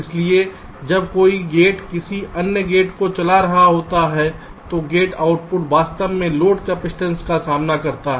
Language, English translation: Hindi, so when a gate is driving some other gate, the gate output actually faces load capacitances